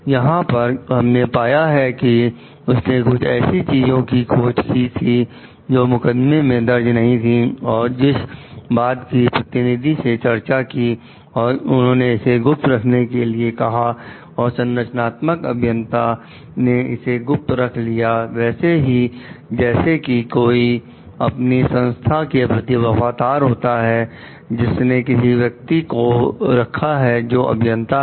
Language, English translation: Hindi, What we find over here like he discovered certain things which were not mentioned in the lawsuit and which the attorney discussed, told to keep secret and the structural engineer kept it secret, confidential based on like the maybe being loyal to the organization who has hired the person, the engineer